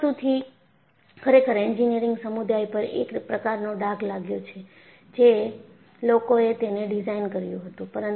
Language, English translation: Gujarati, It is really a sort of a blot on the engineering community which designed it